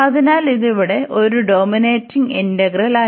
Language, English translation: Malayalam, So, here this was a dominating integral